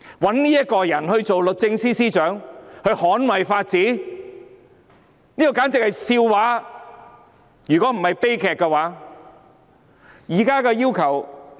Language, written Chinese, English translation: Cantonese, 委任這個人擔任捍衞法治的律政司司長，如果不是悲劇，就是笑話。, Appointing this person as the Secretary for Justice to defend the rule of law is a joke if not a tragedy